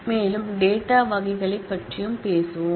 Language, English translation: Tamil, We will also talk about more data types